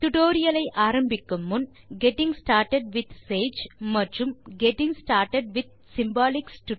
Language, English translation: Tamil, Before beginning this tutorial,we would suggest you to complete the tutorial on Getting started with Sage and Getting started with Symbolics